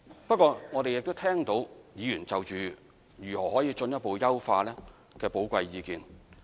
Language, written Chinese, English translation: Cantonese, 不過，我們亦聽到議員就如何進一步優化政策，提出的寶貴意見。, However we have also listened to valuable comments given by Members on further improving the policy